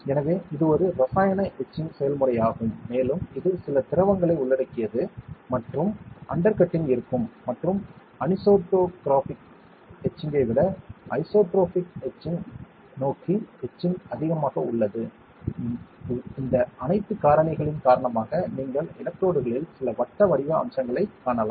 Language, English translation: Tamil, So, this is a chemical etching process and that involves some liquids and there will be undercutting and that etching is more towards isotropic etching than anisotropic etching, because of all these factors you can see some circular features on the electrodes